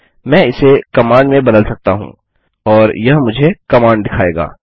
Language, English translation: Hindi, I can change it to command and it will show me the command